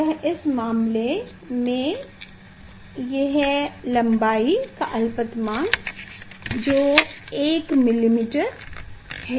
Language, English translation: Hindi, It is the in this case least count is in length, it is the 1 millimeter